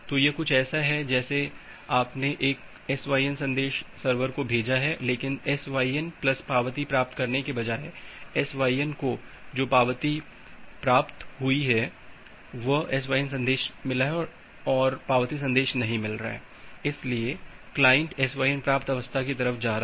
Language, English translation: Hindi, So, it is just like that you have sent a SYN message to the server, but rather than getting a SYN plus acknowledgement, the acknowledgement to the SYN that you have sent you are getting a SYN message and not the acknowledgement message, so you are the client is moving to the SYN receive state